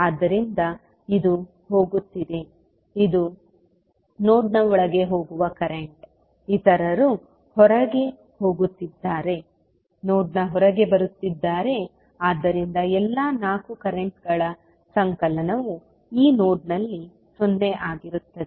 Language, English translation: Kannada, So this is going, this is the current going inside the node, others are going outside, coming outside of the node so the summation of all 4 currents will be 0 at this node